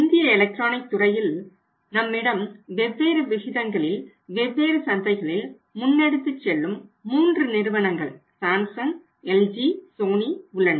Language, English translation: Tamil, In the electronics sector in India we have three companies who are the say leaders in the market you can say the different markets in a different proportions we have Samsung, LG and Sony